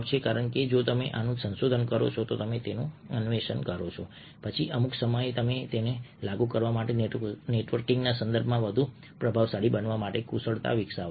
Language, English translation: Gujarati, here is the answer: because if you research this, if you explore this, and at some point of time you will develop skills for applying them and becoming more influences in the context of networking